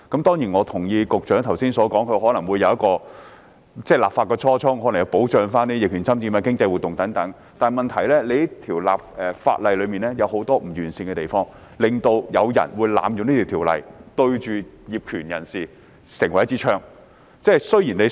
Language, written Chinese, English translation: Cantonese, 當然，我同意局長剛才所說的立法初衷是要保障逆權管有人、經濟活動等，但問題是這項法例有很多不完善的地方，導致這項條例被濫用，成為槍桿子瞄準業權人。, But of course I agree with what the Secretary just said . The legislative intent is to protect adverse possessors and provide certainty for economic activities . But the problem is that with its many flaws the ordinance has been abused and used as a tool to target at landowners